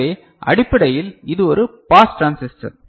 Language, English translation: Tamil, So, basically this is a pass transistor